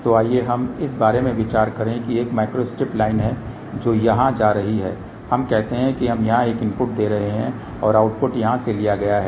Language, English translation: Hindi, So, let us think about that there is a one micro strip line which is going here let us say we are giving a input here and the output is taken from here